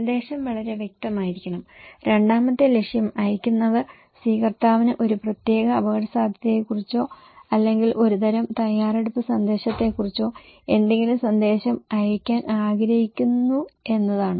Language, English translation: Malayalam, The message should be very clear and second objective is that when senders wants to send the receiver some message about a particular risk or a kind of some preparedness message